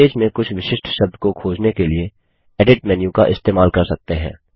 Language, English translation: Hindi, You can use the Edit menu to search for particular words within the webpage